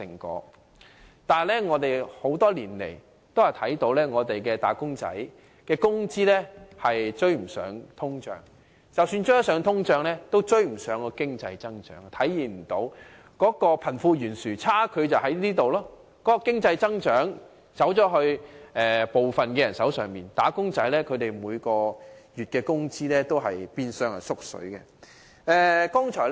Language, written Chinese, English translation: Cantonese, 可是，我們多年來看到的卻是"打工仔"的工資追不上通脹，即使追得上通脹，也追不上經濟增長，貧富懸殊的差距便在於此，經濟增長只落在部分人的手上，"打工仔"每月的工資變相"縮水"。, However all we can see over the years is that their wages have failed to catch up with inflation and even if they are on par they fall behind economic growth . This explains why there is such a wide gap between the rich and the poor . Only a small group of people can benefit from the economic growth while the monthly wages of wage earners are actually on the decrease in real terms over the years